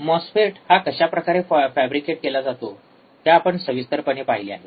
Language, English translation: Marathi, We have also seen in detail how the MOSFET is fabricated, isn't it